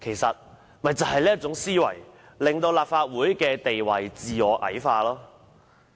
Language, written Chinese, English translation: Cantonese, 正正就是這種思維，令立法會的地位矮化。, It is precisely this way of thinking that belittles the status of the Legislative Council